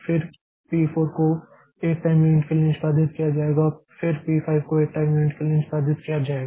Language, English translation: Hindi, So, I can, so P3 will be executed for one time unit, then P4 will be executed for one time unit, then P5 will be executed for one time unit